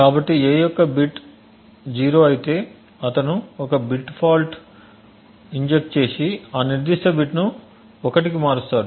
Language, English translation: Telugu, So that means if the bit of a is 0 then he would inject a bit fault and change that particular bit to 1